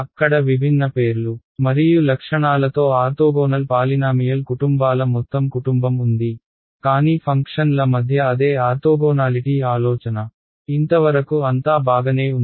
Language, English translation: Telugu, There is a entire family of orthogonal polynomials with different different names and different properties, but the idea is the same orthogonality between functions ok; so far so good